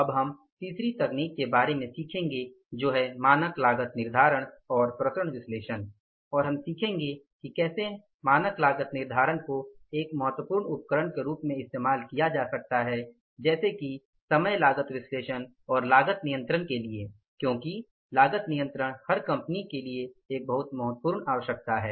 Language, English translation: Hindi, Now, we will be learning about the third technique that is the standard costing and the variance analysis and we will learn that how the standard costing can be used as an important tool of, say, overall cost analysis and the cost control